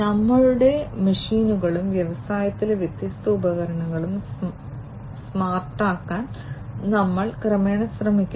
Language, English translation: Malayalam, Plus, we are gradually trying to make our machines and different devices in the industry smarter